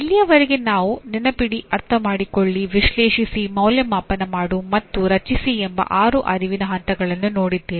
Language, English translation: Kannada, Okay, till now we have looked at the six cognitive levels namely Remember, Understand, Analyze, Evaluate and Create